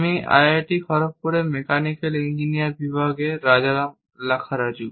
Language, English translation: Bengali, I am Rajaram Lakkaraju from Department of Mechanical Engineering, IIT Kharagpur